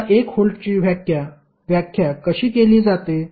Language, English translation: Marathi, Now, how you will measure 1 volt